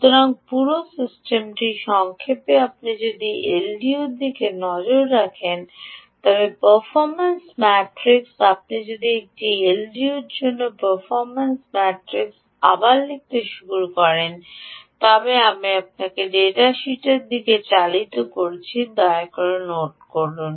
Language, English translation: Bengali, if you look at the l d o, the performance matrix, if you start putting down performance matrix for an l d o, again, i am driving you in the direction of the data sheet, please note